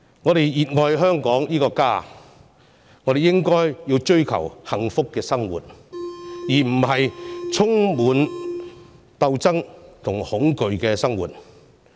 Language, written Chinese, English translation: Cantonese, 我們熱愛香港這個家，我們應該追求幸福的生活，而不是充滿鬥爭和恐懼的生活。, We love Hong Kong a place which we call home . We should pursue a happy life rather than a conflict - filled and fearful life